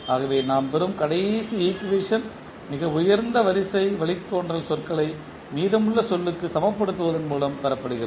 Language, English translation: Tamil, So, the last equation which we obtain is received by equating the highest order derivatives terms to the rest of the term